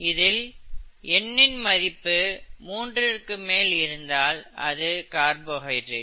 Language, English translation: Tamil, And usually N is taken to be greater than three for a carbohydrate